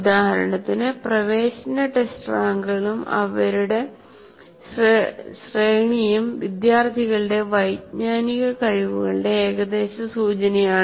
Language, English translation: Malayalam, For example, entrance test ranks and their range is an approximate indication of the cognitive abilities of the students